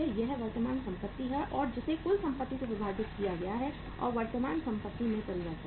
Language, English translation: Hindi, This is current assets divided by total assets plus change in the current assets